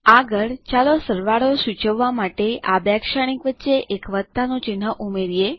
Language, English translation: Gujarati, Next, let us add a plus symbol in between these two matrices to denote addition